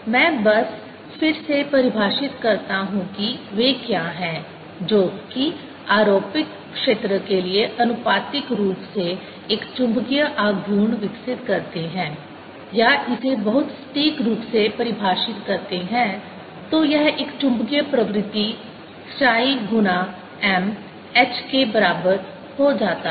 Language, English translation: Hindi, these are the ones that develop a magnetic moment proportional to the applied field, or, to define it very precisely, this becomes equal to a magnetic susceptibility: chi m times h